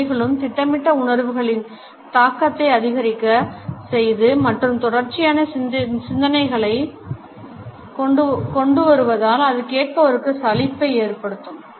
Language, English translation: Tamil, They also increase the impact of the projected feeling and bring the continuity of thought making the listeners bored